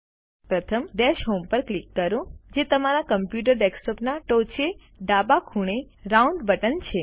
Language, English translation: Gujarati, First, click on Dash Home, which is the round button, on the top left corner of your computer desktop